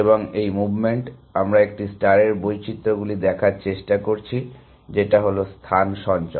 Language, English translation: Bengali, And at this movement, we are trying to look at variations of A star which are space savings